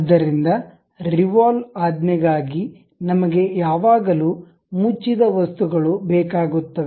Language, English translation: Kannada, So, for revolve command we always require closed objects